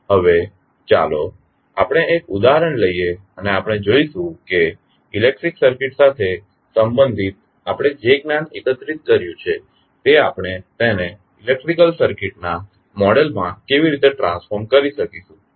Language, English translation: Gujarati, Now, let us take one example and we will see how the knowledge which we have just gathered related to electrical circuit how we can transform it into the model of the electrical circuit